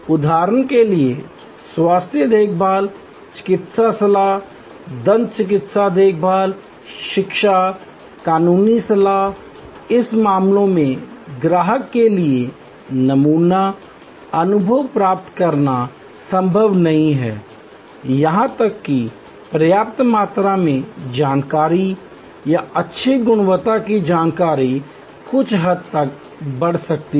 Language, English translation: Hindi, For example, health care, medical advice, dental care, education, legal advice, in this cases it is not possible for the customer to get a sample experience, even enough amount of information or good quality information can go up to certain extend